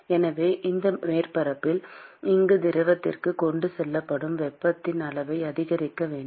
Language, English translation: Tamil, So, you want to maximize the amount of heat that is transported from this surface to the fluid